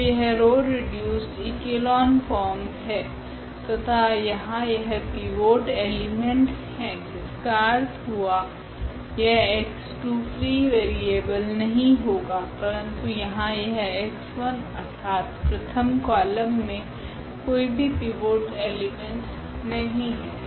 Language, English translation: Hindi, So, this is the row reduced echelon form already and we have here this pivot element; that means, this x 2 is not a free variable, but here this x 1 because the first column does not have a pivot element